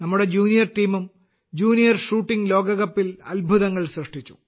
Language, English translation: Malayalam, Our junior team also did wonders in the Junior Shooting World Cup